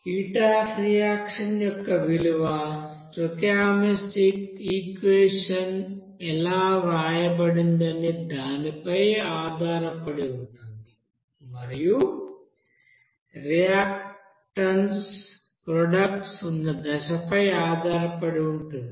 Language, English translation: Telugu, The value of the heat of reaction depends on how the stoichiometric equation is written and on the phase of the reactants and products are there